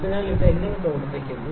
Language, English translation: Malayalam, So, how it is working